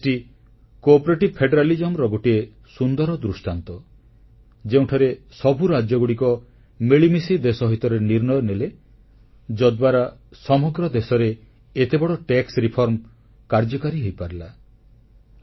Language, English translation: Odia, GST is a great example of Cooperative federalism, where all the states decided to take a unanimous decision in the interest of the nation, and then such a huge tax reform could be implemented in the country